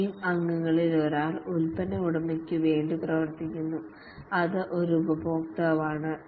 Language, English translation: Malayalam, One of the team member acts as on behalf of the product owner that is a customer